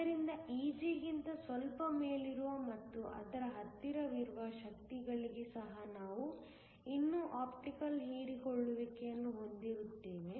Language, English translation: Kannada, So, even for energies slightly above Eg and very close to it, we will still have Optical absorption